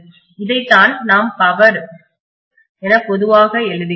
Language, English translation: Tamil, This is what we normally write as the power